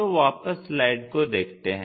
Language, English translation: Hindi, So, let us go on to our slide